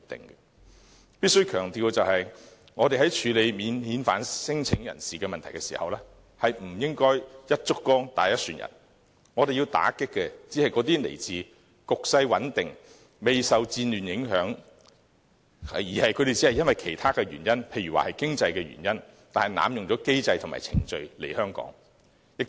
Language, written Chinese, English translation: Cantonese, 我必須強調的是，在處理免遣返聲請人士的問題時，我們不應該"一竹篙打一船人"，我們要打擊的，只是那些來自局勢穩定、未受戰亂影響，但只是因為經濟等其他原因而濫用機制和程序來香港的人。, I must stress that when we handle the problem of non - refoulement claimants we should not sweepingly conclude that they are all bogus refugees . We should only target at those coming from politically stable countries unaffected by war who take advantage of our system to come to Hong Kong for financial or other reasons